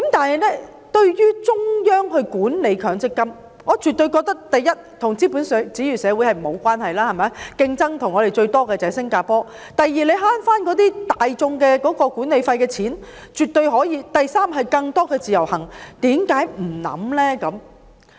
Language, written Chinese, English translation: Cantonese, 然而，對於中央管理強積金，我絕對認為：第一，與是否資本主義社會無關，我們的最大競爭對手新加坡也這樣做；第二，市民可以節省大筆管理費；第三，容許更多的"自由行"；為何不考慮呢？, First this has nothing to do with whether it is a capitalist society or not . It is also implemented in Singapore our greatest competitor . Second members of the public will be able to save a substantial amount of management fees